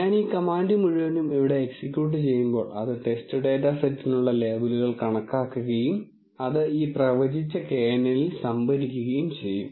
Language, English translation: Malayalam, When I execute this whole command here, it will calculate the labels for the test data set and store them in this predicted knn